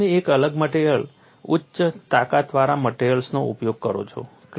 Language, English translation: Gujarati, So, you use a different material high strength material